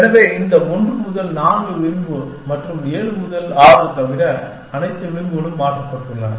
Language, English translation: Tamil, So, everything all the edges except for this 1 to 4 edge and 7 to 6 has been replaced